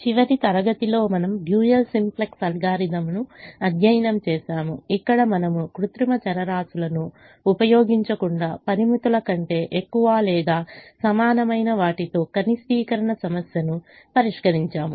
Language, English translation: Telugu, in the last class we studied the dual simplex algorithm where we solved a minimization problem with all greater than or equal to constraints without using artificial variables